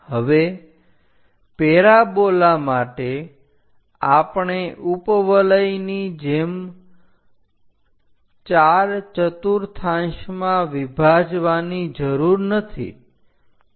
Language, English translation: Gujarati, Now, for parabola, we do not have to divide into 4 quadrants like an ellipse